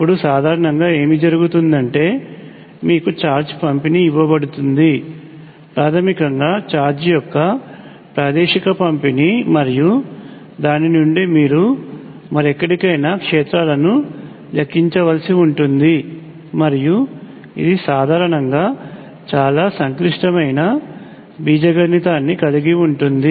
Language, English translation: Telugu, Now, usually what happens is you are given charge distribution basically the spatial distribution of charge and from that you have to calculate the fields elsewhere, and this usually involves a lot of complicated algebra